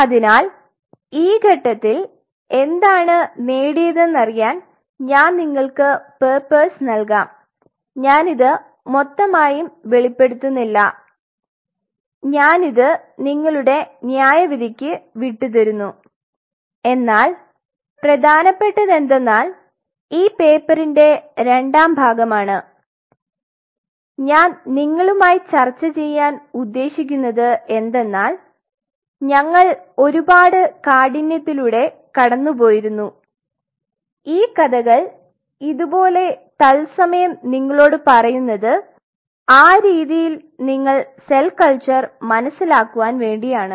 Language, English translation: Malayalam, So, at this stage I will give you the papers what has been achieved I will not really divulge that I will leave it to your judgment how we did it, but what is important is part two of the paper what I am going to discuss with you how we, but we went through the whole rigor the whole idea about telling you these stories from real time is this is how we have to understand cell culture